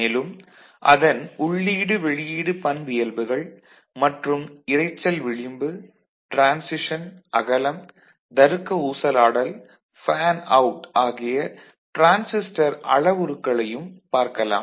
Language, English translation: Tamil, So, we shall look at its input output characteristics and some important parameters like noise margin, transition width, logic swing and fanout